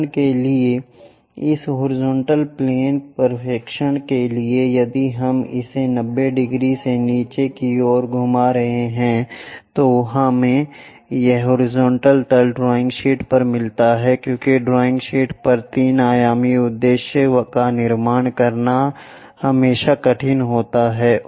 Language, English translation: Hindi, For example, for this horizontal plane projection if we are rotating it downwards 90 degrees, we get this horizontal plane on the drawing sheet because on the drawing sheet constructing 3 dimensional objective is always be difficult